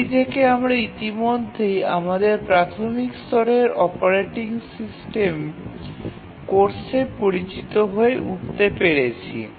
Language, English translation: Bengali, So, this you might have already become familiar in your first level operating system course, the basic operating system course